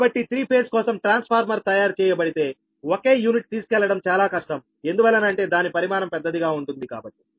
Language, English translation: Telugu, so if transformer is made for three phase together, a single unit is very difficult to carry because the volume will be huge